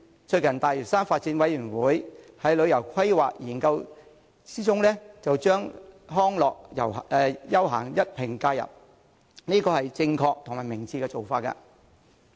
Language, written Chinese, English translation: Cantonese, 最近，大嶼山發展諮詢委員會在旅遊規劃研究中一併加入康樂休閒，這是正確和明智的做法。, The Lantau Development Advisory Committee has recently incorporated recreation and leisure into its study of tourism planning . This is a correct and wise move